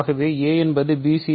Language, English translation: Tamil, So, suppose we have a is equal to bc